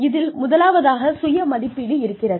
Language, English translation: Tamil, The first one is, self assessment